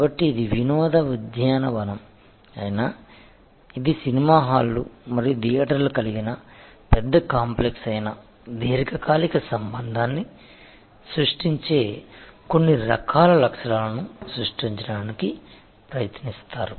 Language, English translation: Telugu, So, whether it is an amusement park, whether it is a large complex having movie halls and theatres, etc they are try to create certain kinds of features which create a long term relationship